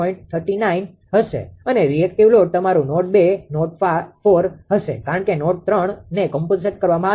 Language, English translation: Gujarati, 39 and reactive load will be your node 2 and ah node 4 because 3 is compensated right